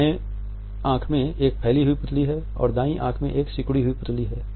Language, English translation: Hindi, The left eye has a dilated pupil and the right eye has a constricted pupil